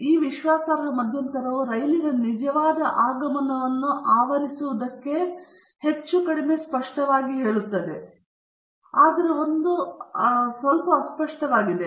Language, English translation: Kannada, Obviously, this confidence interval is more or less definite to bracket the actual arrival of the train, but this is very vague